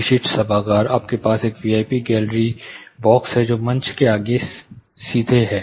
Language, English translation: Hindi, Typical auditoriums you have a V I P gallery box which is further straight to the stage